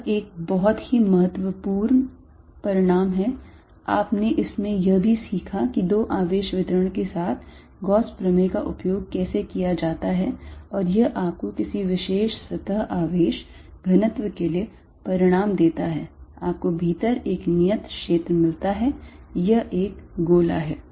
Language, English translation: Hindi, That is a very important result, you also learnt in this how to use Gauss theorem with two charge distributions and it gives you a result that for a particular surface charge density you get a constant field inside this is sphere